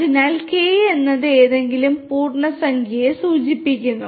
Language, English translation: Malayalam, So, K refers to any integer